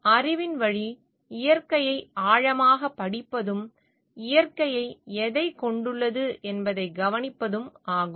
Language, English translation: Tamil, Way of knowledge relates to studying nature deeply and being observant of what nature possesses